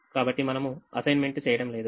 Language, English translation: Telugu, don't make an assignment